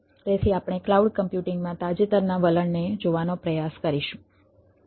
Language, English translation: Gujarati, so we will try to look at the recent trend in cloud computing